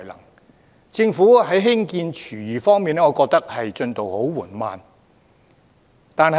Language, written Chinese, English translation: Cantonese, 我認為政府在興建廚餘廠方面，進度很緩慢。, I think the Government is progressing really slowly in the construction of food waste plant